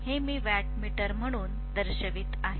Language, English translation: Marathi, So I am showing this as the wattmeter